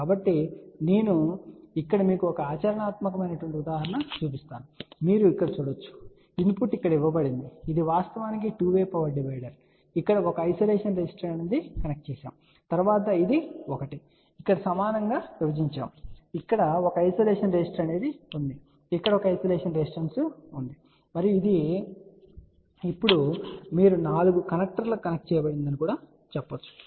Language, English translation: Telugu, So, I am just going to show you one practical example here and that is you can see here, input is given over here this is actually a 2 way power divider there is a isolation resistance is connected over here and then this one over here is divided equally further and there is a isolation resistance here there is a isolation resistance over here and this is now you can say connected to the 4 connectors